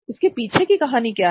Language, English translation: Hindi, What is the story about